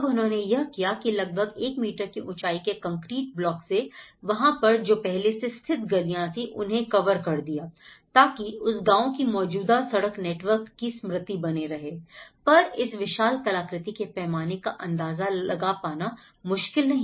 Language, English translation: Hindi, Now, what they did was they put, they covered with almost a 1 meter height of the concrete blocks and these alleyways are actually the existing street network of that village so that they want to bring that memory of the skeleton of that village as it is in a kind of block model but one can imagine of the scale of this artwork